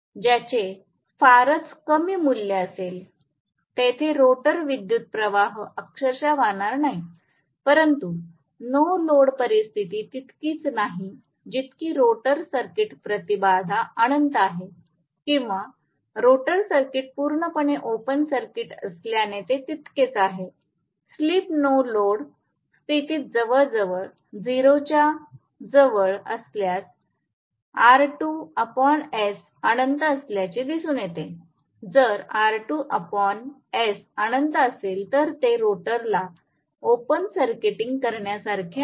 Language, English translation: Marathi, The rotor current will not literally flow it may have very very miniscule value, so the no load condition is as good as having the rotor circuit impedance to be infinity or the rotor circuit being open circuit completely, it will equivalent to that I will to say it is that, it is equivalent to that, slip is almost close to 0 under no load condition, if slip is almost close to 0 under no load condition R2 by S happens to be infinity, if R2 by S is infinity it is as good as open circuiting the rotor